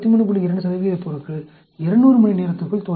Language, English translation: Tamil, 2 percent of the material will fail within 200 hours